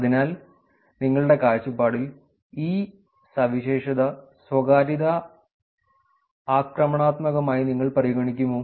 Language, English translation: Malayalam, So, if you see, would you consider this feature as privacy invasive